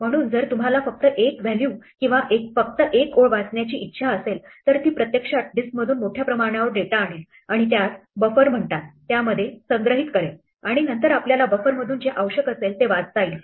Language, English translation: Marathi, So, even if you want to read only one value or only one line it will actually a fetch large volume of data from the disk and store it in what is called a buffer and then you read whatever you need from the buffer